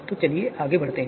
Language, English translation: Hindi, So let us move forward